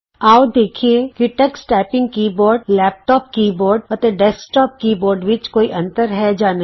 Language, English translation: Punjabi, Now let us see if there are differences between the Tux Typing keyboard, laptop keyboard, and desktop keyboard